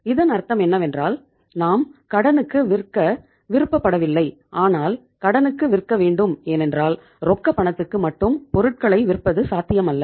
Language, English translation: Tamil, So it means we donít want to sell on credit but we have to sell on credit because with only selling on cash is not possible